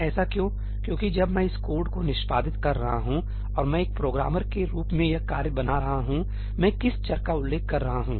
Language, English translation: Hindi, Why because when I am executing this code and I am creating this task, as a programmer , what are the variable that I am referring to